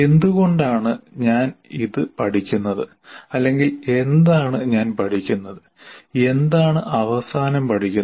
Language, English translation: Malayalam, Why am I learning this or what is it that I am learning at the end